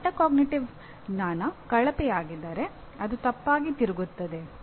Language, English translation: Kannada, If his metacognitive knowledge is poor it will turn out to be wrong